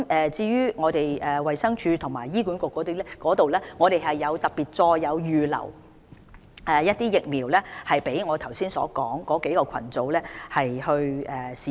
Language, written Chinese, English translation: Cantonese, 至於衞生署和醫管局方面，我們已特別再預留一些疫苗，供我剛才說的3個群組使用。, On the part of DH and HA we have reserved additional vaccines particularly for the three aforesaid groups